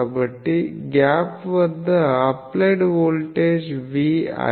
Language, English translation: Telugu, So, at the gap the applied voltage is V i